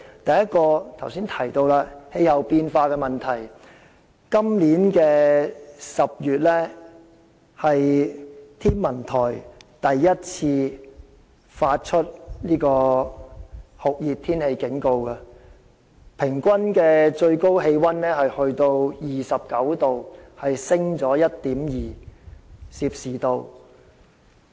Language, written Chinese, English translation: Cantonese, 第一個危機是剛才提到的氣候變化問題，今年是天文台首次在10月發出酷熱天氣警告，該月的平均最高氣溫達 29℃， 上升了 1.2℃。, The first crisis is the problem of climate change which I have mentioned just now . This year is the first time that the Hong Kong Observatory has issued Very Hot Weather Warnings in October